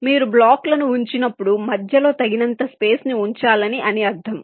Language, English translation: Telugu, it means that when you place the blocks you should keep sufficient space in between